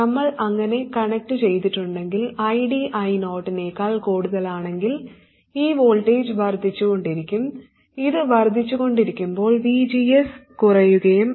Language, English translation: Malayalam, Similarly, if ID is less than I 0, this voltage will keep on falling, VGS will go on increasing and the current will go on increasing